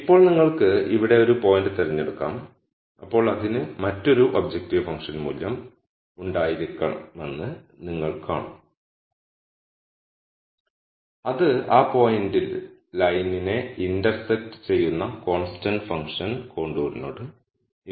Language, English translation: Malayalam, Now you could pick a point here then you would see that it would have another objective function value which would be corresponding to the constant function contour that intersects the line at that point